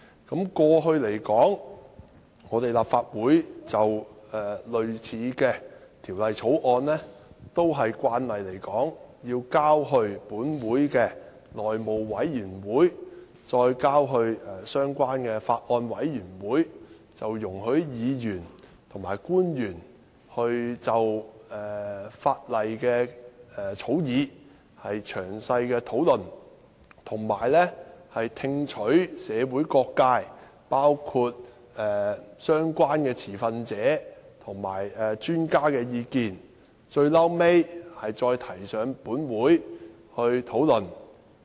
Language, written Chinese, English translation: Cantonese, 過去而言，立法會就類似的條例草案也慣常交付立法會內務委員會及相關的法案委員會，讓議員和官員就草擬的法例詳細討論，以及聽取社會各界，包括相關的持份者及專家的意見，最後再提交立法會辯論。, In the past similar Bills were routinely referred to the House Committee and relevant Bills Committees of the Legislative Council so that Members and public officers could conduct detailed discussions on the draft legislation and views could be solicited from all sectors of the community including relevant stakeholders and experts before being tabled before the Legislative Council for debate